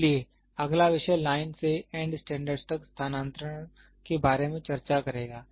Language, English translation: Hindi, So, the next topic will discuss about transfer from line to end standards